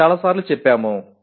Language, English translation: Telugu, We have said it several times